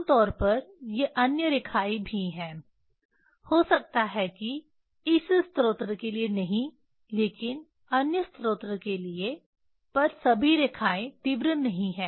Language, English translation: Hindi, Generally these are the there are other lines also; may be not for this source for other source but all lines are not intense